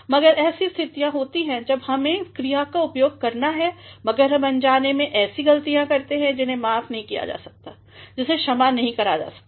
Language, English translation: Hindi, But, there are situations when we make use of verbs, but then unknowingly we commit errors that could not be condoned, that could not be excused